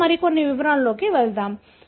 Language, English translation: Telugu, We will go to little more details